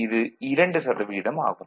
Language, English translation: Tamil, 02 so, it is 2 percent right